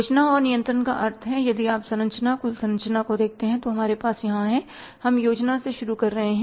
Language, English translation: Hindi, Planning and controlling means if you look at this structure, total structure we have here, we are starting here with the planning, right